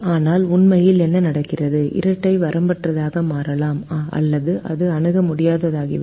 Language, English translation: Tamil, but what actually happens is the dual can become either unbounded or it can become infeasible